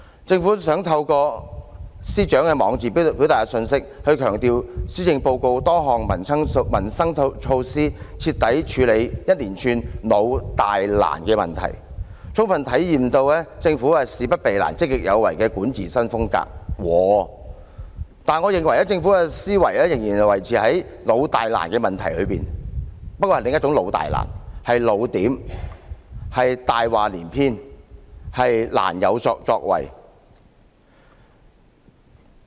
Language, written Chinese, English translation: Cantonese, 政府想透過司長的網誌表達一個信息，強調施政報告多項民生措施徹底處理一連串"老、大、難"的問題，充分體現所謂政府事不避難、積極有為的管治新風格，但我認為政府的思維仍然維持在"老、大、難"的問題當中，不過是另一種的"老、大、難"——"老點"、"大話連篇"、"難有作為"。, The Government wants to express a message through the Chief Secretarys blog to stress that many peoples livelihood measures mentioned in the Policy Address are dealing thoroughly with a series of issues which are old big and difficult and that these measures fully embody the governments new style of avoiding no difficulty with proactive governance . However I believe that the governments thinking is still old big and difficult but in another form older style bigger lies and more difficult to act